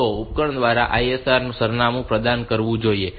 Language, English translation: Gujarati, So, the ISR address should be provided by the device